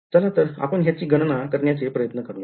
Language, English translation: Marathi, So, let us try to calculate this now